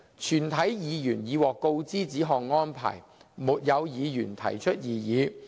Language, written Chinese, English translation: Cantonese, 全體議員已獲告知此項安排，沒有議員提出異議。, All Members were informed of the proposed arrangement and no objection had been received from Members